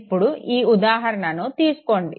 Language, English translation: Telugu, Look at this very example